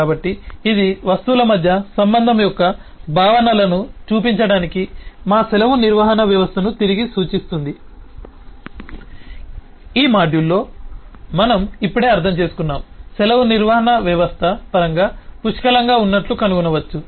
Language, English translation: Telugu, so this was just, eh, referring back to our leave management system, to show that, eh, the concepts of relationship amongst objects that we have just understood in this module are can be found out, found plenty in terms of a leave management system